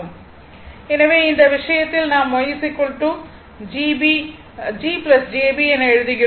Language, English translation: Tamil, So, the in this case we write Y is equal to G plus jB